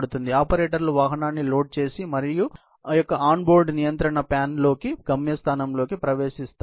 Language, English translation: Telugu, So, the operators load the vehicle and enters a destination into the on board control panel of the vehicle